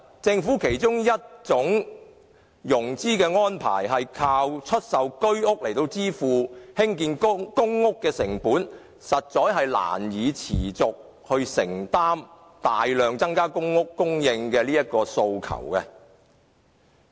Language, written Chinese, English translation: Cantonese, 政府其中一種融資安排，是藉出售居屋來支付興建公屋的成本，但單靠這樣，實難以持續承擔大量增加公屋供應的需求。, Some people have waited over 10 years but still have not been allocated a PRH unit . One of the financing arrangements of the Government is to use the proceeds from the sale of Home Ownership Scheme HOS flats to fund the PRH construction but this arrangement alone cannot sustain the increasingly heavy demand for PRH